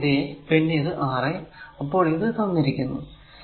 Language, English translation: Malayalam, So, this is R 1 this is R 2 this is R 3 now it is ok